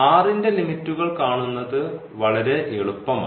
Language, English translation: Malayalam, So, first let us put the limit of r